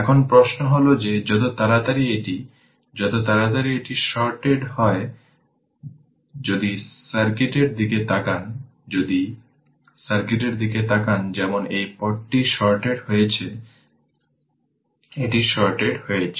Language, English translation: Bengali, Now, question is that ah as soon as it is ah as soon as it is sorted, if you look into the circuit, if you look into the circuit as this path is as this path is sorted ah as this path is sorted, this is sorted right